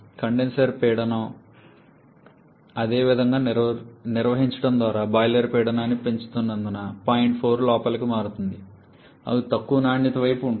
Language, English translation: Telugu, As you are increasing the boiler pressure maintaining the condenser pressure the same, the point 4 is shifting inwards that is towards lower quality side